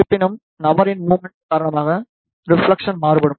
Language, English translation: Tamil, However, reflection will vary due to the movement of the person